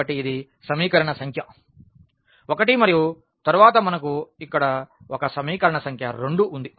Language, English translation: Telugu, So, this is equation number 1 and then we have an equation number 2 here